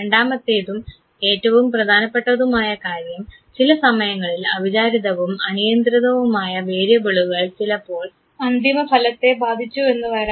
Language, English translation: Malayalam, Second and important thing is that the unexpected and uncontrolled variables sometime to confound the result